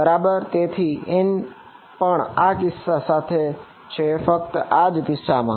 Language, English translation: Gujarati, Right so, n hat is also along in this special case only in this special case